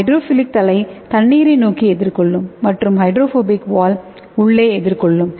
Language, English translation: Tamil, So here we can see here this hydrophilic head is facing towards water and your hydrophobic tail is towards inside